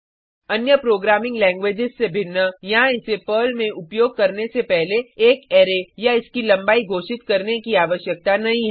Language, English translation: Hindi, Unlike other programming languages, there is no need to declare an array or its length before using it in Perl